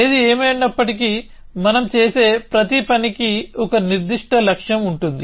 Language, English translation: Telugu, Anyway almost everything we do has a certain goal in mind